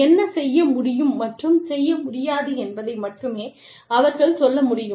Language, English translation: Tamil, They can only say, what can and cannot be done, and should and should not be done